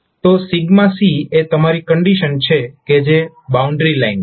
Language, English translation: Gujarati, So sigma c is your condition, which is the boundary line